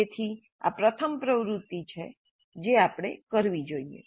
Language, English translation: Gujarati, So this is the first activity that we should do